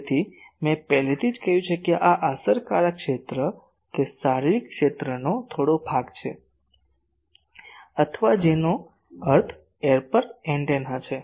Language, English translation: Gujarati, So, I have already said that this effective area, it is a some portion of the physical area, or a that means the for a aperture antenna